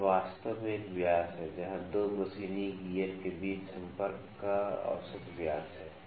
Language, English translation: Hindi, So, it is actually a dia where the mean dia of the contact between the 2 machined gears